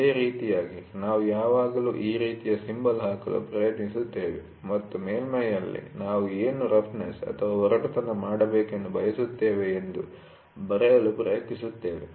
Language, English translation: Kannada, So, in a similar manner we always try to put a symbol like this and try to write what is the roughness we want on the surface to do